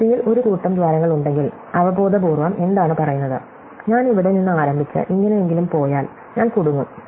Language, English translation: Malayalam, So, so if we have a bunch of holes which are along the border, then intuitively what it says is, that if I start from here and I go anyway like this, I am going to get stuck, ok